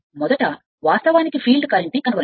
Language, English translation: Telugu, First, you find the field current